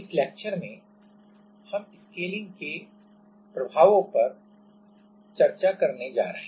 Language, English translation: Hindi, In this lecture, we are going to discuss Scaling effects